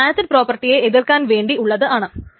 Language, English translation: Malayalam, So this is just to counter the acid properties